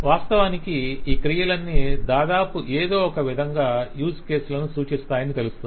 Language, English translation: Telugu, In fact, you will see that almost all of this verbs in some way or other represent use cases